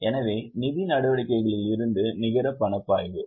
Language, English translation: Tamil, So, net cash flow from financing activity is 9